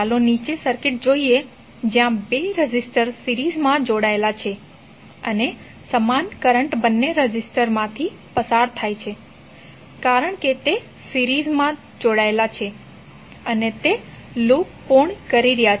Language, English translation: Gujarati, Let us see the circuit below where two resistors are connected in series and the same current is flowing through or both of the resistors because those are connected in the series and it is completing the loop